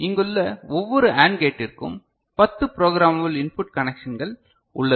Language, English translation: Tamil, So, each of these AND gate here has got ten programmable input connections ok